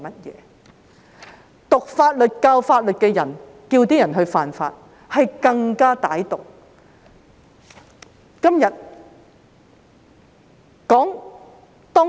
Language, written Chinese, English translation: Cantonese, 修讀法律、教授法律的人叫市民犯法，是更加歹毒。, It is even more malevolent for those who study and teach law to tell the public to break the law